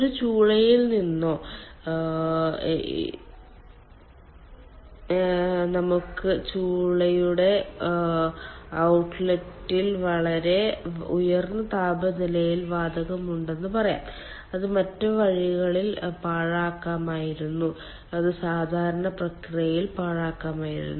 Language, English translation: Malayalam, lets say from a furnace or incinerator, we are having very high temperature gas at the ah, ah at the at the outlet of the furnace, which could have wasted in um other ways